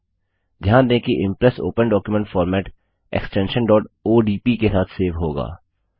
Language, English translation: Hindi, Note that the Impress Open Document Format will be saved with the extension .odp